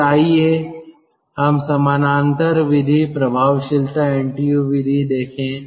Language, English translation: Hindi, then let us see the parallel method, effectiveness, ntu method